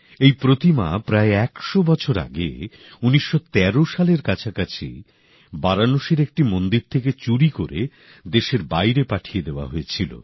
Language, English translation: Bengali, This idol was stolen from a temple of Varanasi and smuggled out of the country around 100 years ago somewhere around 1913